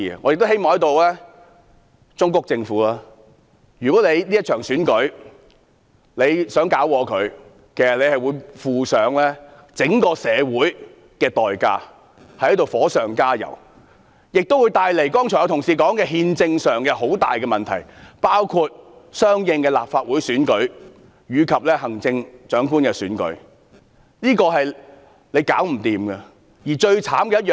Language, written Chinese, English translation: Cantonese, 我亦希望在此忠告政府，如果政府想破壞這場選舉，將要負上整個社會的代價，是火上加油，並會帶來憲政上很大的問題，包括之後相應舉行的立法會選舉及行政長官選舉，令問題難以處理。, I also wish to warn the Government here that if it wants to ruin this election it will have to sacrifice the entire community because it will fan up the fire and create a major constitutional problem . This covers also the Legislative Council Election and Chief Executive Election to be held later and this will make the problem even harder to be handled